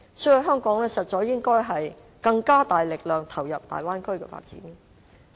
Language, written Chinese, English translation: Cantonese, 所以，香港應該以更大力度投入大灣區的發展。, Thus Hong Kong should step up its effort in participating in the development of the Bay Area